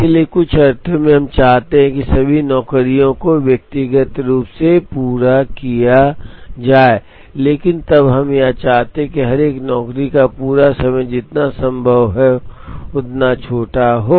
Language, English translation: Hindi, So, in some sense, we want all the jobs to be completed individually, but then we want the completion times of each one of the job to be as small as possible